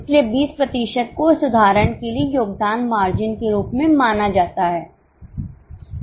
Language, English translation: Hindi, So, 20% is known as contribution margin for this example